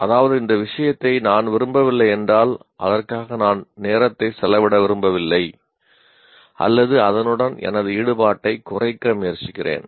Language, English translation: Tamil, So what happens if I don't like the subject, I don't want to spend time on that or I try to minimize my involvement with that